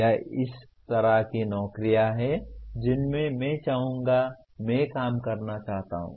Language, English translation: Hindi, This is the kind of jobs that I would like to, I wish to work on